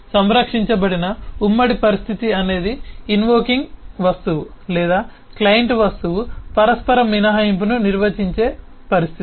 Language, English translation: Telugu, a guarded concurrent is a situation where the invoking object or the client object manages the mutual exclusion